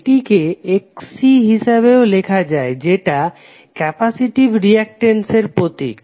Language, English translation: Bengali, So what will write this this will simply write as Xc which is symbolized as capacitive reactance